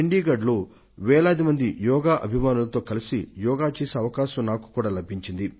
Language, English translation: Telugu, I also got an opportunity to perform Yoga in Chandigarh amidst thousands of Yoga lovers